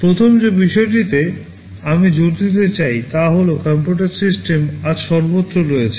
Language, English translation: Bengali, The first thing I want to emphasize is that computer systems are everywhere today